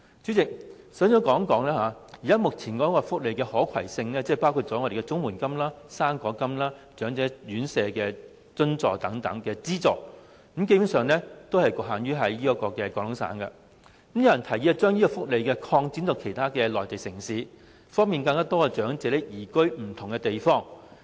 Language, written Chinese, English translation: Cantonese, 主席，首先，我談談目前福利的"可攜性"，包括綜援金、"生果金"、長者院舍津貼等資助，基本上是局限於廣東省，有人提議將這些福利擴展到內地其他城市，方便更多長者移居不同的地方。, President first of all the present cross - boundary portability arrangements for various welfare subsidies including the Comprehensive Social Security Assistance the fruit grant allowances for residential places for the elderly are basically limited to Guangdong Province . Some people suggest extending these welfare benefits to other Mainland cities so that more elderly people can move to other different places